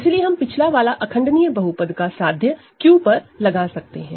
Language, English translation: Hindi, So, we can apply the previous proposition irreducible polynomial over Q